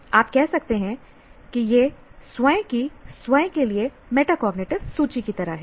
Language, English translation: Hindi, You can say this is more like metacognitive inventory for one's own self